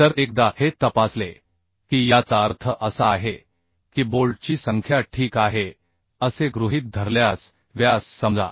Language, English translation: Marathi, So once this is checked, that means the uhh assume number of bolts are okay, assume diameter of bolts are okay